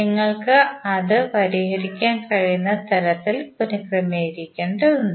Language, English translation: Malayalam, You have to just simply rearrange in such a way that you can solve it